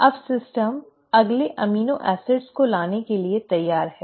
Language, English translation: Hindi, Now, the system is ready to bring in the next amino acids